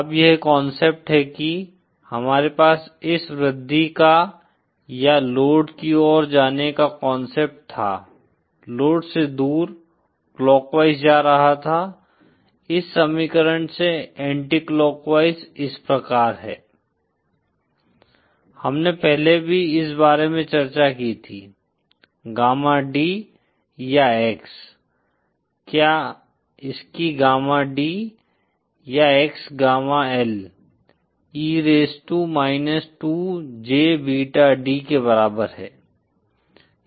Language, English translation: Hindi, Now this is the concept we had this concept of this increasing or going towards the load, away from the load, going clockwise, anticlockwise this follows from this equation that we had earlier discussed about, the gamma D or X, whether its gamma D or X is equal to gamma L E raise to minus 2 J beta D